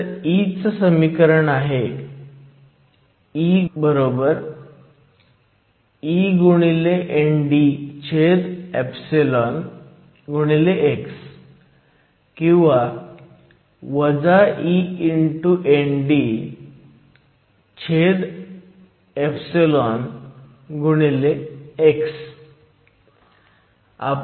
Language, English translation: Marathi, So, the expression for the field E=e ND x or e ND x